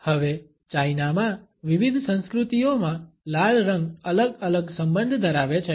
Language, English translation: Gujarati, Now the red color has different associations in different cultures in China